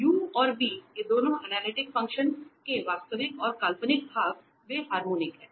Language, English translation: Hindi, So, both u and v these real and the imaginary part of analytic function, they are harmonic